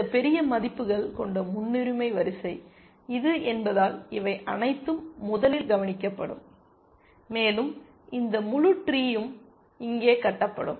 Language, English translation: Tamil, And since this is a priority queue with this plus large values, all this will be taken care of first and this whole tree would be constructed here